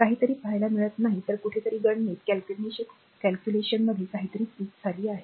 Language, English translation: Marathi, If you see something is not matching then somewhere something has gone wrong in calculation